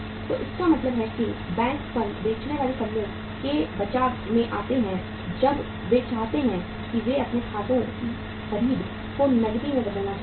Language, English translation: Hindi, So it means banks come to the rescue of the firm, the selling firms as and when they want or they want to convert their accounts receivables into cash